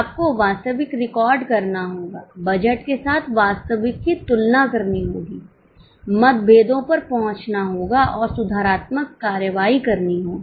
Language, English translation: Hindi, You have to record the actuals, compare the actuals with budget, arrive at variances and take corrective action